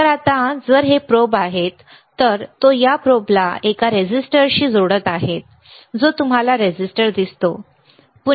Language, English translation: Marathi, So now, if for this these are the probes, he is in connecting this probe to a resistor you see resistor, right